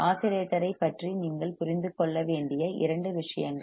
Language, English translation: Tamil, Two things you must understand about the oscillator